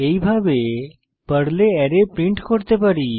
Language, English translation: Bengali, This is how we can print the array in Perl